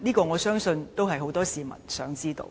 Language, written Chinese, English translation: Cantonese, 我相信很多市民也想知道。, I believe many people would like to know